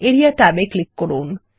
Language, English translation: Bengali, Click the Area tab